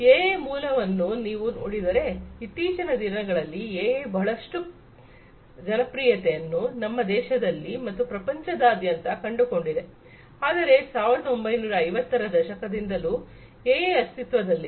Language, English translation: Kannada, If you look at the origin of AI, AI in the recent times have found lot of popularity in our country and globally, but AI has been there since long starting from the 1950s AI has been in existence